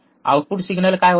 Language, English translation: Marathi, So, what is the output